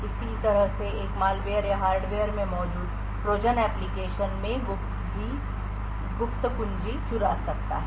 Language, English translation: Hindi, In a similar way a malware or a Trojan present in the hardware could steal the secret key in the application